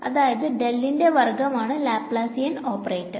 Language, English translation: Malayalam, So, del squared is the Laplacian operator